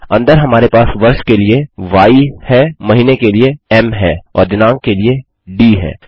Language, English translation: Hindi, Inside we have Y for the year, m for the month and d for the date